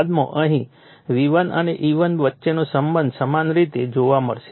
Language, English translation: Gujarati, Later we will see the relationship between V1 and E1 similarly here